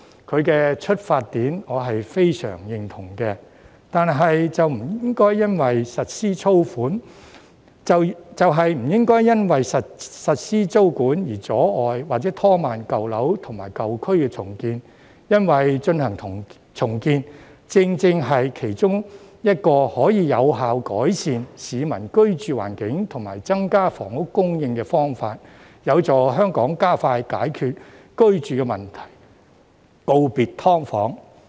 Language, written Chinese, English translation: Cantonese, 他的出發點我是非常認同的，就是不應該因為實施租管，而阻礙或拖慢舊樓及舊區重建，因為進行重建，正正是其中一個可以有效改善市民居住環境及增加房屋供應的方法，有助香港加快解決居住問題，告別"劏房"。, I very much agree with his intention that the implementation of tenancy control should not hinder or delay the redevelopment of old buildings and old districts because redevelopment is one of the most effective ways to improve the living conditions of the community and increase housing supply which can help Hong Kong solve the housing problem and bid farewell to SDUs as early as possible